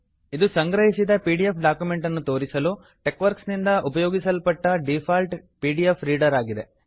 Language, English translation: Kannada, It is the default pdf reader used by TeXworks to display the compiled pdf document